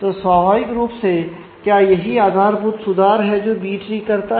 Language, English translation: Hindi, So, naturally that is the basic optimization that B tree does